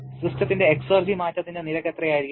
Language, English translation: Malayalam, How much will be the rate of exergy change of the system